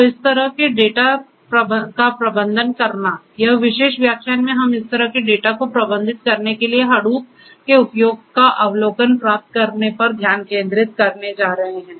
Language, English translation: Hindi, So, managing this kind of data, managing this kind of data and managing this kind of data in this particular lecture we are going to focus on to get an overview of use of Hadoop to manage this kind of data right